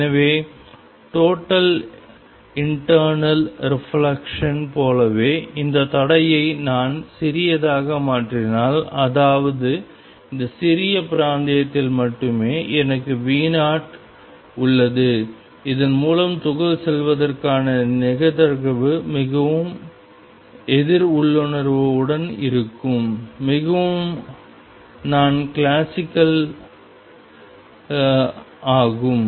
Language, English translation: Tamil, So, just like in total internal reflection if I make this barrier small; that means, I have V 0 only in this small region again there will be a probability of particle going through this is very countering intuitive very non classical